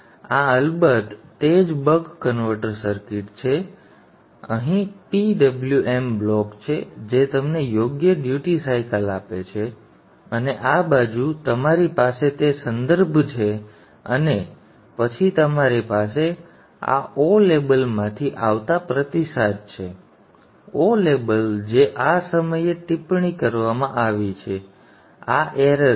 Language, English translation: Gujarati, You have the PWM block here which is giving you the proper duty cycle and on this side you have that reference and then you have the feedback coming from this O label here O label which is connected at this point